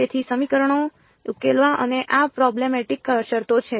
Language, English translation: Gujarati, So, solving the equations and these are the problematic terms